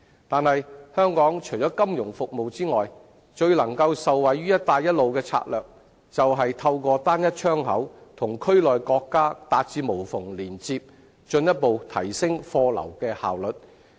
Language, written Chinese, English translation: Cantonese, 但是，香港除了金融服務外，最能夠受惠於"一帶一路"的策略便是透過"單一窗口"與區內國家達至無縫連接，進一步提升貨流的效率。, However apart from financial services Hong Kong will benefit greatly from the Belt and Road strategy by developing a Trade Single Window to achieve seamless connection with other countries in the area thus further enhancing the efficiency of cargo flow